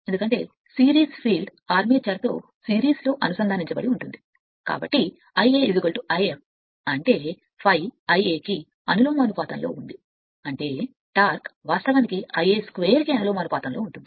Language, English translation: Telugu, Because series field is connected in series with the armature, so I a is equal to I f; that means, if phi proportional to the I a means the torque actually proportional to I a square